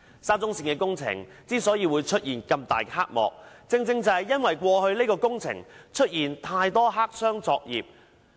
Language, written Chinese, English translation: Cantonese, 沙中線的工程之所以出現這麼大的黑幕，正正是因為過去這項工程有太多黑箱作業。, The reason why the SCL project has caused such a colossal scandal is that there were too many black - box operations under this project in the past